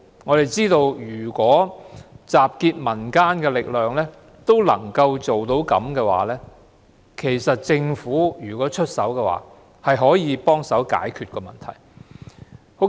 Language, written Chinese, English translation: Cantonese, 我們認為憑藉集結民間力量也能做到這個成績的話，如果加上政府出手，更能協助我們解決這問題。, We are of the view that if services of such an extent can be provided with the mere pooling of community efforts the problem can definitely be better resolved if the Government is willing to lend a helping hand